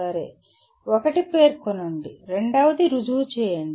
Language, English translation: Telugu, Okay, one is stating and the second one is proving